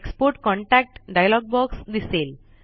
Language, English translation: Marathi, The Export contacts dialog box appears